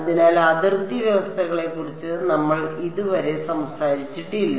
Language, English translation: Malayalam, So, far we have not spoken about boundary conditions right